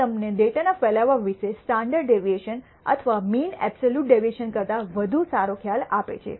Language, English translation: Gujarati, This gives you an idea better idea of the spread of the data than just giving you standard deviation or the mean absolute deviation and so on